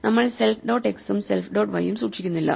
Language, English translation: Malayalam, We are not keeping self dot x and self dot y